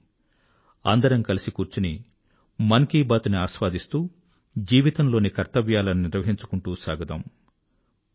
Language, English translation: Telugu, Let's sit together and while enjoying 'Mann Ki Baat' try to fulfill the responsibilities of life